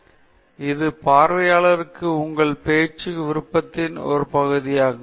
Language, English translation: Tamil, So, this is a part of the customization of your talk for the audience